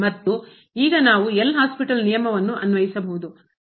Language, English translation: Kannada, And now we can apply the L’Hospital rule